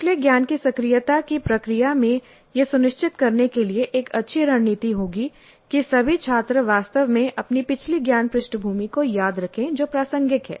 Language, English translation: Hindi, In the process of the activation of the previous knowledge, this would be a good strategy to ensure that all the students really recall their previous knowledge background which is relevant